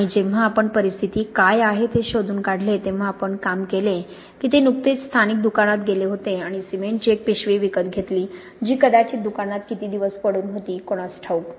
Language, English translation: Marathi, And when we explored what was the situation we worked out that they had just gone to the local shop and bought a bag of cement which would may be been lying around in the shop for, who knows, how long